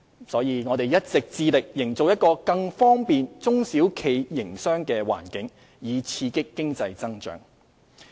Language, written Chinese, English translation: Cantonese, 因此，我們一直致力營造一個更方便中小企營商的環境，以刺激經濟增長。, Hence we have been making a vigorous effort to establish a more business - friendly environment for SMEs with a view to stimulating economic growth